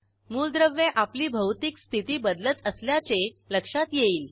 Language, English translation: Marathi, Notice that elements change their Physical state